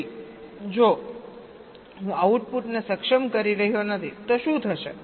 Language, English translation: Gujarati, so if i am not enabling the output, then what will happen